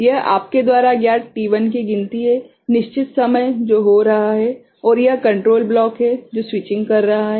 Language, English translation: Hindi, This is the count of you know t1, the fixed time that is taking place right and this is the control block which is doing the switching